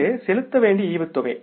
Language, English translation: Tamil, This is a dividend payable